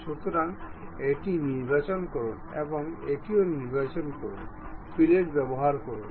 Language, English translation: Bengali, So, select this one and select this one also, use fillet